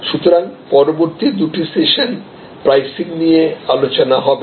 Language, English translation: Bengali, So, next two sessions will be on pricing